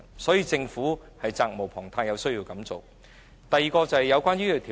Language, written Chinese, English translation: Cantonese, 所以，政府責無旁貸，必須做這工作。, Hence the Government is obliged to do this work